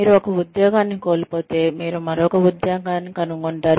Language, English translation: Telugu, If you miss out on one job, you will find another one